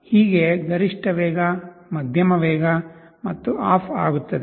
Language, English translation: Kannada, This is maximum speed, medium speed, off